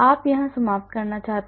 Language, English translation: Hindi, you want to end up here